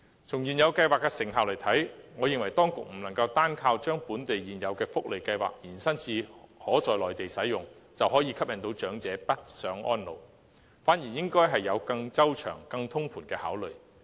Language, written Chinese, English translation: Cantonese, 從現有計劃的成效來看，我認為當局不能單靠將本地現有的福利計劃延伸至內地使用，便可吸引長者北上安老，反而應該有更周詳、更通盤的考慮。, Judging from the effectiveness of the existing schemes I think the authorities cannot draw elderly persons to northbound elderly care with a simple extension of local welfare schemes to the Mainland . Conversely it is necessary to have more detailed and comprehensive consideration